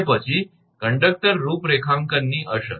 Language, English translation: Gujarati, Then, effect of conductor configuration